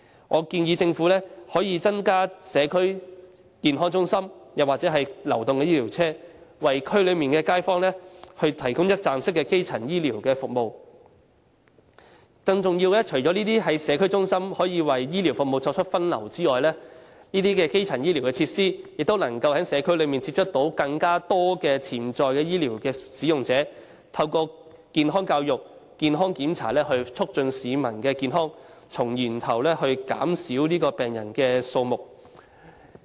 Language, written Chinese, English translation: Cantonese, 我建議政府增設社區健康中心或流動醫療車，為區內街坊提供一站式基層醫療服務；更重要的是，除了可以為醫療服務作出分流外，這些基層醫療設施亦能在社區內接觸更多潛在醫療服務使用者，透過健康教育和檢查，促進市民健康，從源頭減少病人數目。, I suggest that the Government put in place additional community health centres or mobile clinics to provide the local residents with one - stop primary healthcare services . More importantly apart from doing triage for healthcare services these primary healthcare facilities can also get into contact with more potential users of healthcare services in the community and promote public health through health education and check - ups thereby reducing the number of patients at source